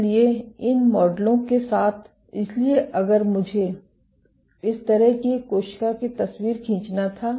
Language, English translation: Hindi, So, with these models, so if I were to draw a picture of a cell like this